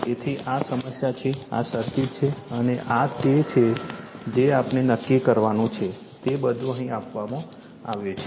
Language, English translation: Gujarati, So, this is the problem, this is the circuit, this is the circuit, and this is the what we have to determine everything is given here right